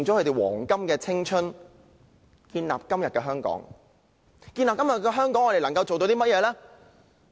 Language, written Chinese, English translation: Cantonese, 他們建立了今時今日的香港，而我們能夠為他們做甚麼呢？, They have contributed to building todays Hong Kong but what can we do for them?